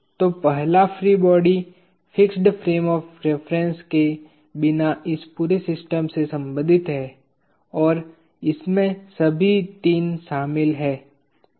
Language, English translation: Hindi, So, the first free body concerns this entire system without the fixed frame of reference and it contains all the 3